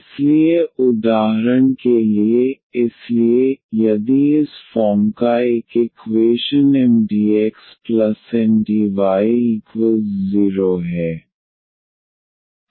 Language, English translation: Hindi, So, for instance; so, if an equation of this form Mdx, Ndy is not exact